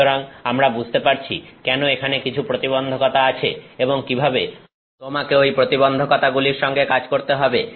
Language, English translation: Bengali, So, that we can understand why there are some constraints and how you have to work around this constrain